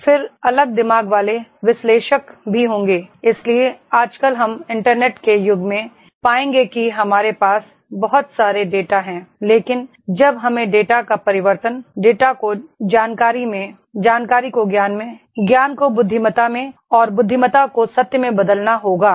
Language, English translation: Hindi, ) Then there will be the different minded analyst also, so therefore nowadays we will find in the era of the Internet that is we have a lot of data but when we have to convert the data, data into information, information into knowledge, knowledge and wisdom and wisdom into truth, this is the pyramid